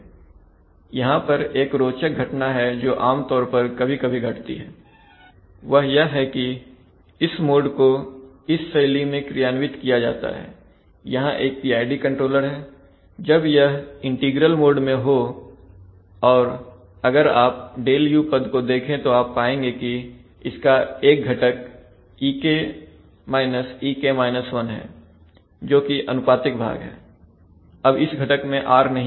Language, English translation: Hindi, Mode is implemented in this form, there is a PID controller, when there is an integral mode basically because of the fact that if you see the Δu term you will find that one component contains e minus e, that is the proportional component, now in this component there is no r